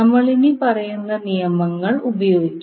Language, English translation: Malayalam, We will simply use the following rules